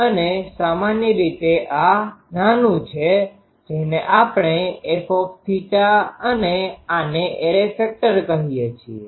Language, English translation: Gujarati, And generally this small one we called small f theta and this one array factor